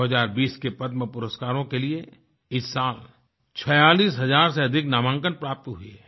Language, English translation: Hindi, This year over 46000 nominations were received for the 2020 Padma awards